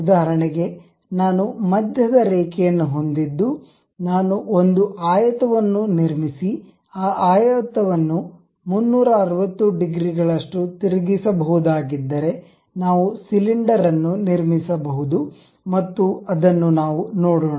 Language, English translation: Kannada, For example, if we have, if I have a centre line, if I can construct a rectangle, rotating that rectangle by 360 degrees also, we will be in a position to construct a cylinder and that is the thing what we will see